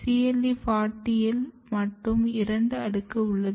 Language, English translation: Tamil, So, this is cle40 alone there is two layers